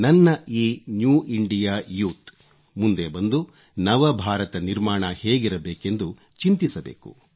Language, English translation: Kannada, My New India Youth should come forward and deliberate on how this New India would be formed